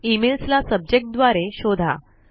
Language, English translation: Marathi, Search for emails by Subject